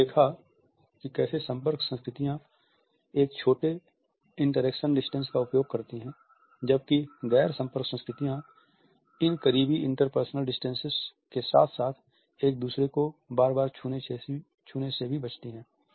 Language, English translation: Hindi, We have seen how contact cultures use a small interaction distances whereas, non contact cultures avoid these close inter personal distances as well as the frequent touching of each other